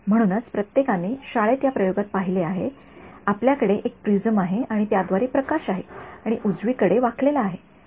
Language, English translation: Marathi, So, everyone has seen in this experiment in school right you have a prisms and light through it and light gets bent right